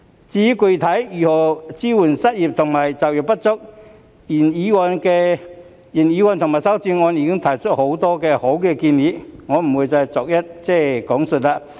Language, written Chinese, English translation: Cantonese, 至於具體該如何支援失業及就業不足人士，原議案及修正案均已提出很多好建議，我不會逐一講述。, As for the specific ways to support the unemployed and underemployed the original motion and the amendments have put forward many good recommendations . I will not go into them one by one